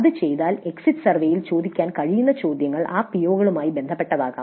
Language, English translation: Malayalam, If this is done then questions that can be asked in the Exist Survey be related to those POs